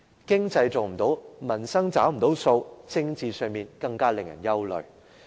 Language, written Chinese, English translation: Cantonese, 經濟做不好，民生又無法"找數"，而在政治上，更是使人憂慮的。, The economy is not doing well and the pledges on peoples livelihood are not honoured . Politically the situation is even more worrying